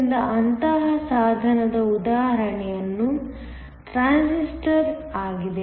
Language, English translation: Kannada, So, an example of such device is a Transistor